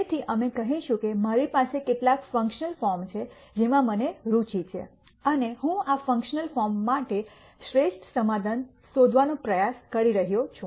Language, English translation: Gujarati, So, we will say that I have some functional form that I am interested in and I am trying to find the best solution for this functional form